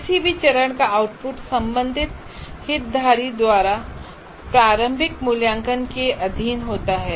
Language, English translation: Hindi, Output of any phase is subject to formative valuation by the concerned stakeholders